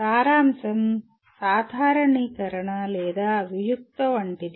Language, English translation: Telugu, Summarization is more like generalization or abstracting